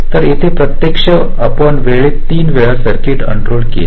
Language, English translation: Marathi, so here actually we have unrolled the circuit in time three times